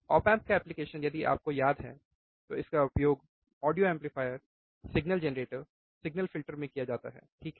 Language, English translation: Hindi, It finds application again if you remember what are the application, audio amplifier signal generator signal filters, right